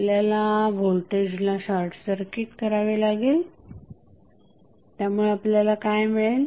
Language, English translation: Marathi, We have to short circuit the voltage so what we will get